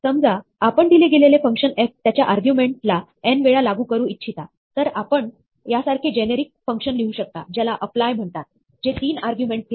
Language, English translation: Marathi, Suppose, we want to apply a given function f to its argument n times, then we can write a generic function like this called apply, which takes 3 arguments